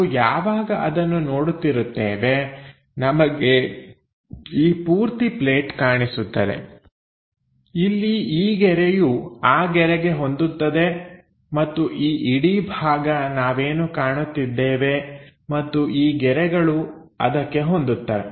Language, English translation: Kannada, When we are visualizing that we will be in a position to see this entire plate here this line maps onto that line and this entire portion we will see and these lines maps onto that